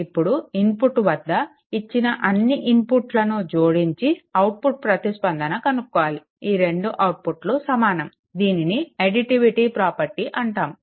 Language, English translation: Telugu, Now again at the input all the inputs are there get output response this 2 must be your equal right so, that is call actually additivity property